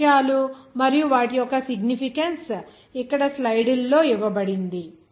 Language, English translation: Telugu, All those things and relative their significance it is given here in the slide